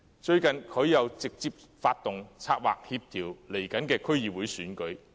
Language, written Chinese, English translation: Cantonese, 最近，他又直接發動、策劃及協調將會舉行的區議會選舉。, Recently he has also directly initiated orchestrated and coordinated the upcoming District Council elections